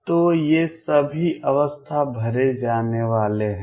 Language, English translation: Hindi, So, all these states are going to be filled